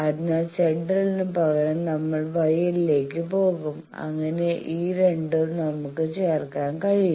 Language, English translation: Malayalam, So, instead of Z L we will go to Y L, so that these 2 can be added